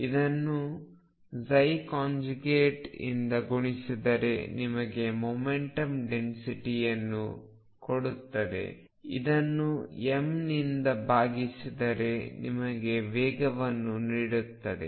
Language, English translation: Kannada, Time psi starts gives you the momentum density divided by m gives you the velocity